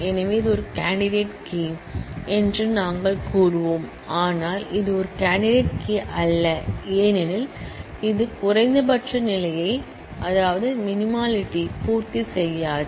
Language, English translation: Tamil, So, we will say this is a candidate key, but this is not a candidate key, because it does not satisfy the minimality condition